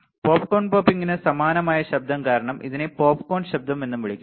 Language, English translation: Malayalam, And because of its sound similar to popcorn popping, it is also called popcorn noise; it is also called popcorn noise